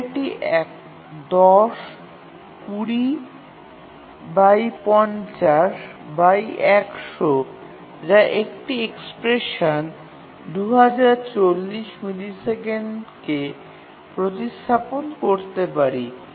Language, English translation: Bengali, So, you can just substitute that in an expression, 1020 by 50 by 100 which is 2,040 milliseconds